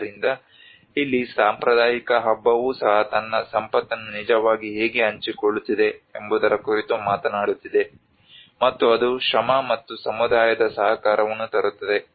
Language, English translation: Kannada, So here even the traditional feast it is talking about how it actually one is sharing his wealth, and that is how brings the labour and the communityís cooperation